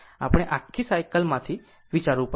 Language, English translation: Gujarati, We have to consider from the whole cycle